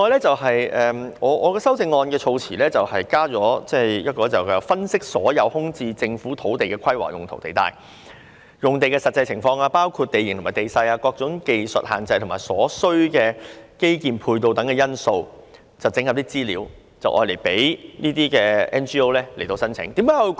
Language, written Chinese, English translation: Cantonese, 另外，我的修正案措辭加入"分析所有空置政府土地的規劃用途地帶、用地實際情況包括地形和地勢、各種技術限制或所需基建配套等因素並整合相關資料後"，供 NGO 申請。, In addition I added to my amendment the wording of after analysing the land use zonings in all vacant government lands and their actual site conditions including topography technical constraints or infrastructural facilities required and consolidating the relevant information they will be available for application by NGOs